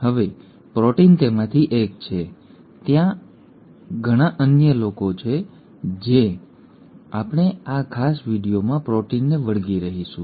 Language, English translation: Gujarati, Now protein is one of them, there are quite a few others but we will stick to proteins in this particular video